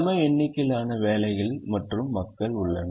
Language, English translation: Tamil, there are an equal number of jobs and people